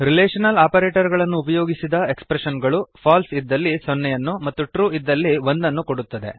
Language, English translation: Kannada, Expressions using relational operators return 0 for false and 1 for true